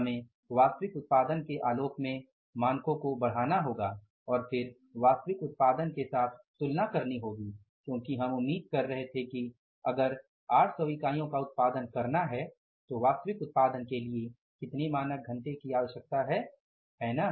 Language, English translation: Hindi, We have to upscale the standards in the light of the actual production and then compare it with the actual production because we were expecting that if 800 units have to be produced then how much this standard numbers are required for the actual output